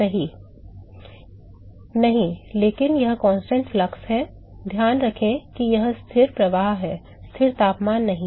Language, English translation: Hindi, No, but this is constant flux, keep in mind this is constant flux, not constant temperature right